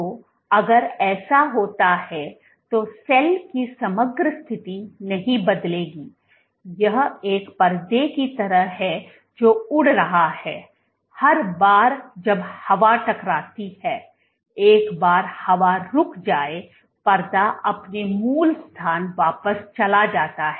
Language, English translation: Hindi, So, if that would happen then the overall position of the cell will not change it will it is like a curtain which is blowing in the air every time the wind hits it the curtain moves once the wind is gone the curtain goes back to its original position